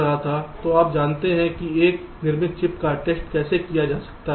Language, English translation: Hindi, so you know how ah manufacture chip can be tested